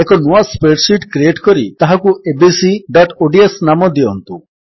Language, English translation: Odia, Lets create a new spreadsheet and name it as abc.ods